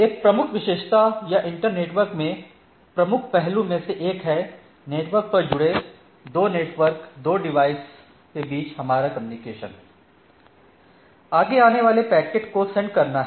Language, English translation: Hindi, So, one of the major feature or one of the major aspect in internetworking or our communication between 2 network 2 device connected on the network is to forwarding, right, moving packets between ports right